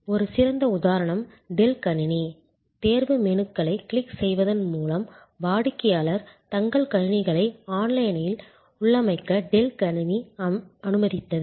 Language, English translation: Tamil, A great example is Dell computer, Dell computer allowed customers to configure their computers online by clicking on selection menus